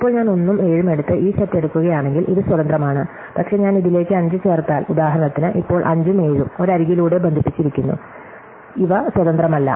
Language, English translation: Malayalam, Now, if I take this set by take 1 and 7, this is an independent, but if I add 5 to it is for the instance, now 5 and 7 are connected by an edge, so these are not independent